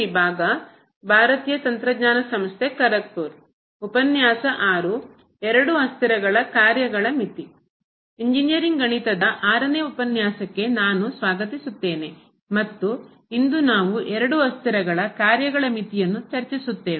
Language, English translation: Kannada, I welcome to the 6th lecture on Engineering Mathematics I and today, we will discuss Limit of Functions of Two variables